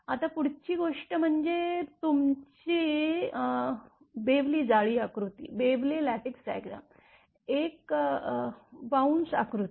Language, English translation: Marathi, Now, next one is that your Bewley Lattice diagram, a bounce diagram